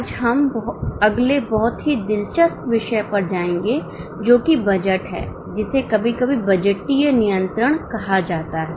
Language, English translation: Hindi, Today we will go to next very interesting topic that is on budgeting, sometimes called as budgetary control